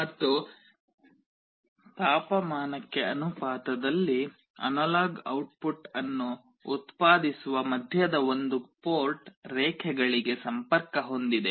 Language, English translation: Kannada, And the middle one that is supposed to generate the analog output proportional to the temperature is connected to one of the port lines